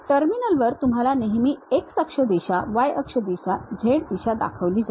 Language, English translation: Marathi, On the terminal it always shows you the x axis direction, y axis direction, z direction also